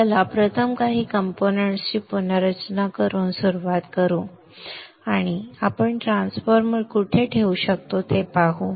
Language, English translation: Marathi, So let us start first with rearranging some of the components and see where we can put the transformer